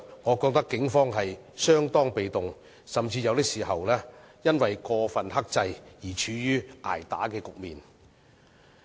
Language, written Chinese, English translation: Cantonese, 我認為警方相當被動，甚至有時更因過分克制而處於"捱打"局面。, In my view the Police remained rather passive so much so that sometimes it was in a position of being beaten without defying due to excessive restraint